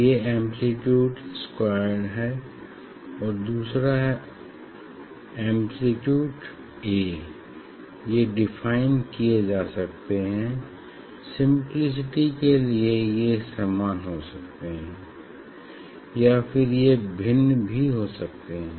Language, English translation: Hindi, so, intensity of this; intensity of this one is square amplitude squared, other one amplitude A; they can be defined, or they can be same we have taken same, so just for simplicity ok, which one can take different also